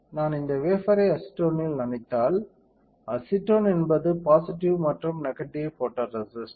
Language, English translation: Tamil, If I dip this wafer in acetone; acetone is a stripper for positive and negative photoresist